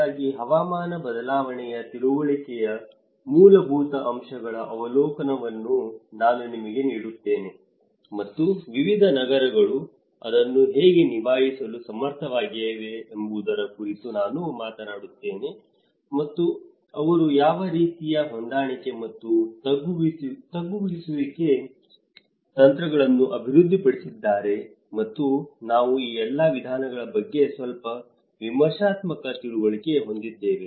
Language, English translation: Kannada, So, I will give you an overview of the basics of climate change understanding and I will also talk about how different cities are able to cope up with it, and what kind of strategies of for adaptation and mitigation they are developing and we will have a little critical understanding of all these approaches